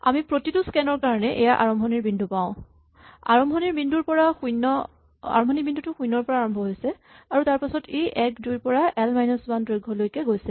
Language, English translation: Assamese, We have this starting points of each scan, so the starting point initially starts at 0, and then it goes to 1, 2 up to the length of l minus 1